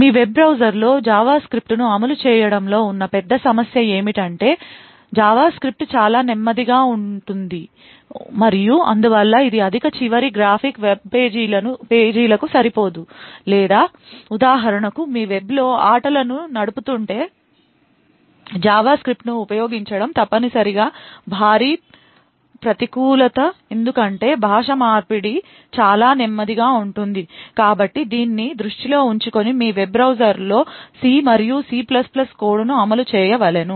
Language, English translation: Telugu, The huge problem with actually running JavaScript in your web browser is that JavaScript is extremely slow and therefore it is not suited for high end graphic web pages or for example if you are running games over the web, so using JavaScript would be essentially a huge disadvantage because the rendering would be extremely slow, so keeping this in mind one would want to run C and C++ code in your web browser